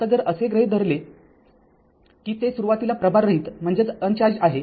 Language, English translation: Marathi, Now, if it is assuming that initially uncharged, that means V 0 is equal to 0